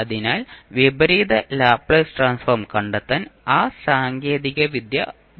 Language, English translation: Malayalam, So, here we will apply those technique to find out the inverse Laplace transform